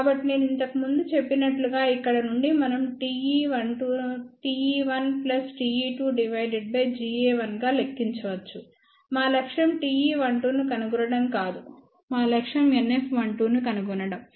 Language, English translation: Telugu, So, from here we can calculate T e 1 2 as T e 1 plus T e 2 divided by G a 1 as I mentioned earlier, our objective is not to find T e 1 2 our objective is to find NF 1 2